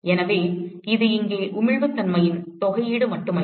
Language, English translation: Tamil, So, it is not just the integral of the emissivity here